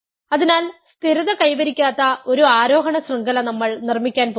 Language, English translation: Malayalam, So, we are going to construct an ascending chain that is not going to stabilize